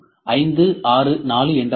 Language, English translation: Tamil, What is 5, 6, 4